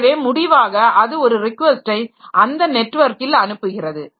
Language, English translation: Tamil, So, as a result, it sends a request over the network and that has to be responded to